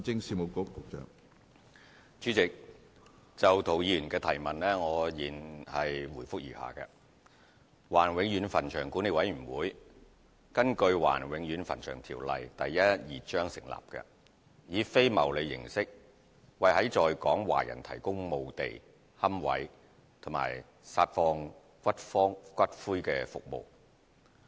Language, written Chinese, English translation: Cantonese, 主席，就涂議員的質詢，現答覆如下：華人永遠墳場管理委員會根據《華人永遠墳場條例》成立，以非牟利形式為在港華人提供墓地、龕位及撒放骨灰服務。, President our reply to Mr TOs question is set out below The Board of Management of the Chinese Permanent Cemeteries BMCPC established under the Chinese Permanent Cemeteries Ordinance Cap . 1112 and operating on a non - profit - making basis provides burial lots niches and ash scattering services for Chinese people in Hong Kong